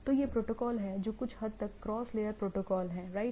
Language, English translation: Hindi, So, these are the protocols which are somewhat cross layer protocol right